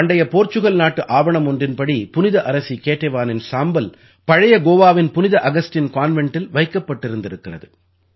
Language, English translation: Tamil, According to an ancient Portuguese document, the mortal remains of Saint Queen Ketevan were kept in the Saint Augustine Convent of Old Goa